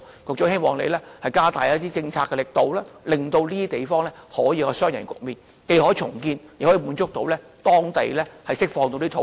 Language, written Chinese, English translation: Cantonese, 我希望局長加大一些政策的力度，以達到雙贏的局面，既可重建房屋，又能釋放土地。, I hope that the Secretary can add vigour to this policy so as to achieve a win - win situation of building redevelopment and releasing lands